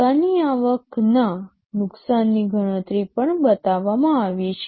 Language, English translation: Gujarati, The percentage revenue loss calculation is also shown